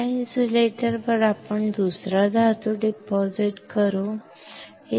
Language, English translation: Marathi, On this insulator we can deposit another metal